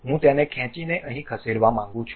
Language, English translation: Gujarati, I would like to move it drag and place it here